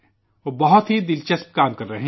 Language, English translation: Urdu, He isdoing very interesting work